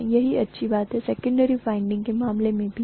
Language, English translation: Hindi, The same thing holds good in the case of secondary winding as well